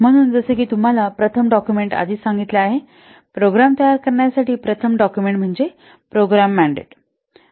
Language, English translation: Marathi, So as I have already told you, the first document, the first document for creating a program is a program mandate